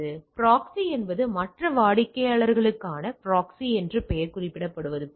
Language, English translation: Tamil, So, proxy is as the name suggest proxy is for the other clients, right